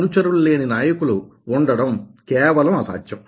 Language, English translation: Telugu, a leader without followers, oh, just impossible